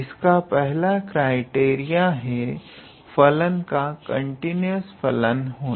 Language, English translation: Hindi, So, the very first criteria in this regard is every continuous function